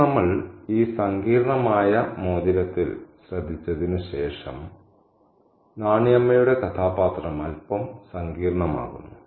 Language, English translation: Malayalam, Now, after we pay attention to this complex ring, Naniamas' character becomes a little bit complex